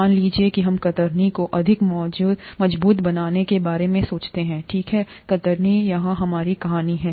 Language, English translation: Hindi, Suppose we think of making the cells more robust to shear, okay, shear is our story here